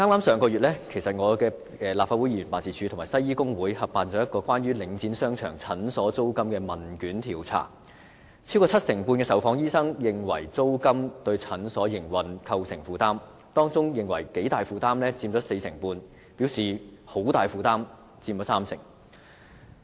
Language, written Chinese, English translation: Cantonese, 上個月，我的立法會議員辦事處和香港西醫工會合辦了一項關於領展商場診所租金的問卷調查，超過七成半的受訪醫生認為租金對診所營運構成負擔，當中認為頗大負擔的佔四成半，而表示很大負擔的則佔三成。, Last month a questionnaire survey was conducted jointly by the Legislative Council office set up by me and the Hong Kong Doctors Union on the rents of clinics operating in the shopping arcades under Link REIT . More than 75 % of the medical practitioners interviewed considered the rents a burden on the operation of their clinics with 45 % and 30 % of them considering the burden considerably heavy and very heavy respectively . In addition the ratios between the rents and the operating costs of clinics were also surveyed